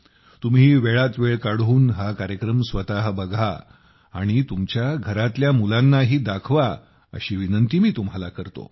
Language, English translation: Marathi, I urge you to take time out to watch it yourself and do show it to the children of the house